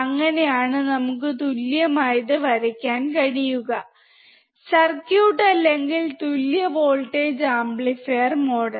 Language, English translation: Malayalam, That is how we can draw the equivalent circuit or equal voltage amplifier model